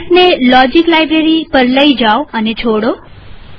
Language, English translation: Gujarati, Move the mouse to the Logic library and release the mouse